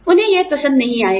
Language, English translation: Hindi, They will not like it